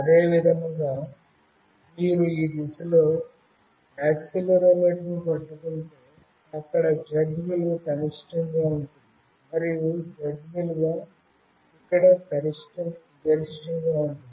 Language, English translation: Telugu, Similarly, if you hold the accelerometer in this direction, then the Z value will be minimum here, and the Z value will be maximum here